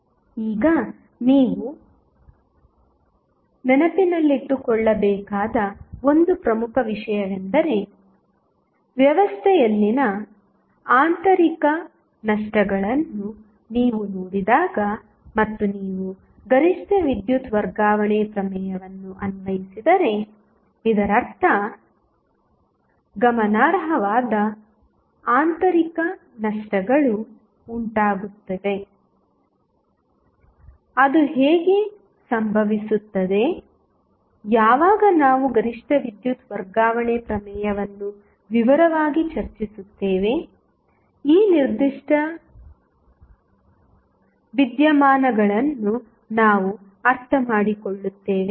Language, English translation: Kannada, Now, 1 important thing which you have to keep in mind that, when you see the internal losses present in the system, and if you apply maximum power transfer theorem, it means that there would be significant internal losses, how it will happen, when we will discuss the maximum power transfer theorem in detail, we will understand this particular phenomena